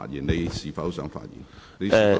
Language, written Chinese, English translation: Cantonese, 你是否想再次發言？, Do you wish to speak again?